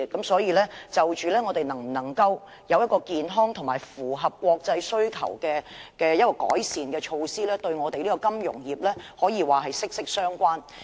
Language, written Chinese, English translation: Cantonese, 所以，我們能否有健康及符合國際要求的改善措施，與金融業可說是息息相關的。, It follows that whether we can put in place healthy improvement measures in line with the international standards is closely related to the financial services sector